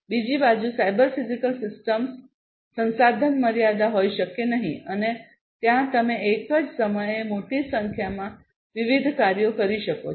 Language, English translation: Gujarati, On the other hand, a cyber physical system may not be resource constrained and there you know you can perform large number of different tasks at the same time